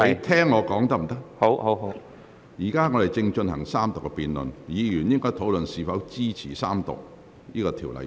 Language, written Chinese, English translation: Cantonese, 本會現正進行三讀辯論，議員應討論是否支持三讀《條例草案》。, This Council is now having the Third Reading debate and Members should focus their speeches on whether they support the Third Reading of the Bill or not